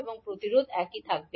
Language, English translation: Bengali, And the resistance will remain the same